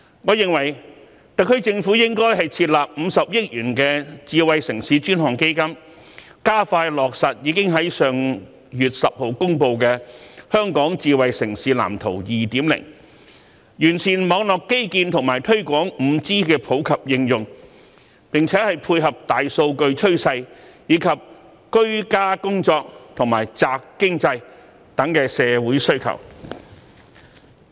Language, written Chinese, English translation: Cantonese, 我認為特區政府應設立50億元的智慧城市專項基金，加快落實已於上月10日公布的《香港智慧城市藍圖 2.0》，完善網絡基建及推廣 5G 的普及應用，並配合大數據趨勢和居家工作及宅經濟的社會需求。, In my opinion the SAR Government should set up a dedicated fund of 5 billion on smart city so as to expedite the implementation of the Smart City Blueprint for Hong Kong 2.0 released on the 10 of last month improve network infrastructure and promote the widespread application of 5G network tie in with the trend of big data and meet the social needs arising from the rise of the work - from - home trend and the development of the stay - at - home economy